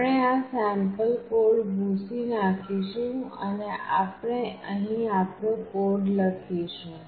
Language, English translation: Gujarati, We will just cut out this sample code and we will be writing our code in here